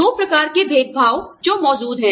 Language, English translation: Hindi, Two types of discrimination, that exist